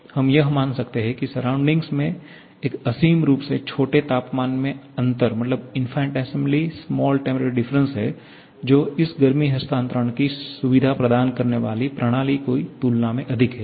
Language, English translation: Hindi, So, we can assume that surrounding is at an infinitesimally small temperature difference higher than the system thereby facilitating this heat transfer